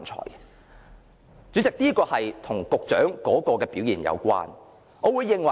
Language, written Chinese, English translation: Cantonese, 代理主席，這是和局長的表現有關的。, Deputy Chairman this is related to the performance of the Secretary